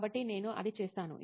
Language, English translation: Telugu, So that is what I do